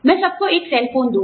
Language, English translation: Hindi, I will give everybody, a cell phone